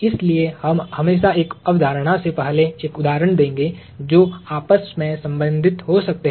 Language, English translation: Hindi, So, we would always precede a concept with an example that you can relate to